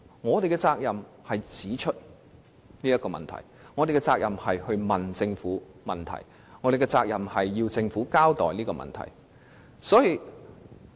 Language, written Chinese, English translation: Cantonese, 我們有責任指出這些問題，向政府提出問題，以及要求政府向我們作出交代。, We are obliged to point out these issues put questions to the Government and demand an explanations from the Government